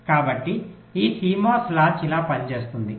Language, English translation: Telugu, so this is how this cmos latch works